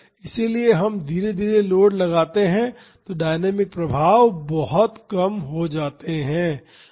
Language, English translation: Hindi, So, if we apply the load gradually the dynamic effects will be much less